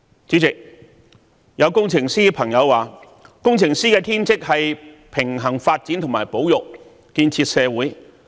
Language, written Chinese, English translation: Cantonese, 主席，有工程師朋友說，工程師的天職是平衡發展和保育，建設社會。, President a friend of mine in the engineering sector once said that the bounden duty of engineers was to strike a balance between development and conservation in building up our society